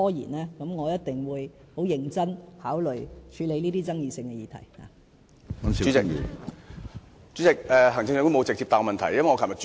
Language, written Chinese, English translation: Cantonese, 這樣的話，我一定會認真考慮處理這些具爭議性的議題。, If this can be done I will seriously consider handling the controversial issues